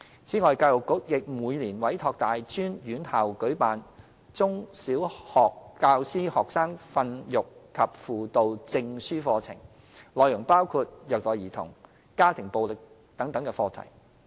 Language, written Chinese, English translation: Cantonese, 此外，教育局亦每年委託大專院校舉辦"中/小學教師學生訓育及輔導證書課程"，內容包括虐待兒童、家庭暴力等課題。, Moreover the Education Bureau commissions tertiary institutions every year to provide Certificate Courses on Student Guidance and Discipline for Teachers of PrimarySecondary Schools which cover various modules on child abuse and domestic violence etc